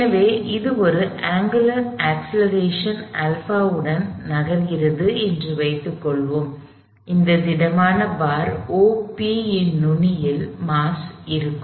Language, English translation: Tamil, So, let say this is moving with an angular acceleration alpha, this rigid bar O P with the mass at the end